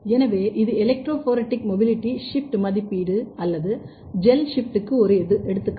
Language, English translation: Tamil, So, this is one example of electrophoretic mobility shift assay, gel shift assay also this is called